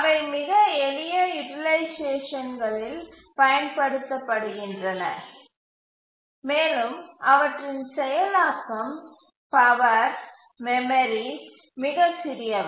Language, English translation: Tamil, So those are used in very simple applications where the processing power, memory, etc